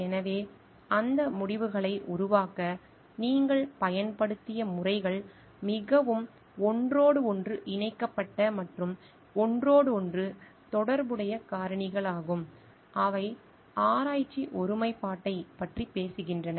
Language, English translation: Tamil, So, what is the methods you used to produce those results are very interconnected and interrelated factors which talks of research integrity